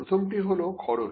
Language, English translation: Bengali, The first one is the cost